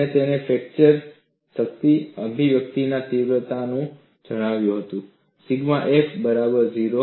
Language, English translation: Gujarati, And he found the fracture strength expression to be of this magnitude sigma f equal to 0